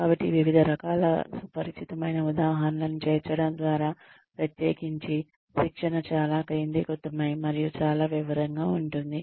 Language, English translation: Telugu, So, inclusion of a variety of familiar examples, especially, when the training is very focused and very detailed, at that point of time